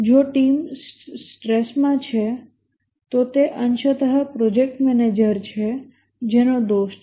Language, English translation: Gujarati, If the team is under stress, it is partly the project manager who is to blame